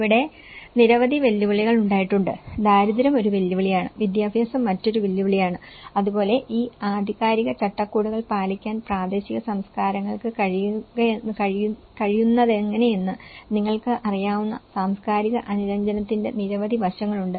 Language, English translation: Malayalam, So, there have been many challenges, poverty being one of the challenge, education being another challenge, so like that, there are many aspects which and the cultural compliance you know, how the local cultures also able to comply with these authoritative frameworks